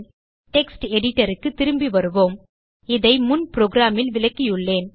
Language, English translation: Tamil, Lets switch back to our text editor I have explained this in the previous program